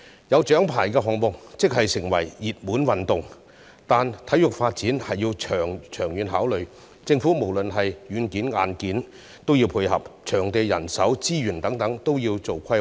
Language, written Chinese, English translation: Cantonese, 有獎牌的項目會成為熱門運動，但體育發展需要長遠的考慮，政府在軟件及硬件方面均要配合，場地、人手、資源等方面皆需要規劃。, Despite the popularity of the medal - winning sports foresight is necessary in sports development . The Government should provide both software and hardware support as well as making plans for venues manpower resources and so on